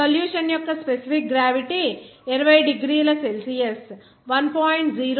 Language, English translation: Telugu, The specific gravity of the solution at 20 degrees Celsius is 1